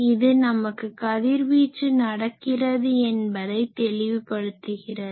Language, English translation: Tamil, And so, this clearly says that this radiation is taking place